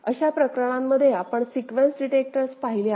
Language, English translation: Marathi, In those cases we have seen sequence detector right